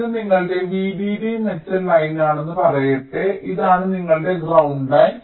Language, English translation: Malayalam, lets say: this is your v d d metal line, this is your ground line